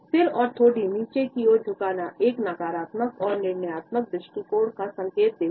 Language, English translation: Hindi, The head and chin down position signals a negative and judgmental attitude